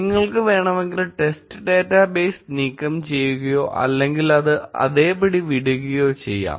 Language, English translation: Malayalam, If you want you can remove the test data base or leave it as it is